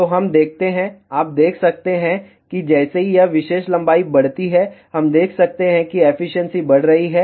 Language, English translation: Hindi, So, let us see, you can see that as this particular length increases, we can see that the efficiency is increasing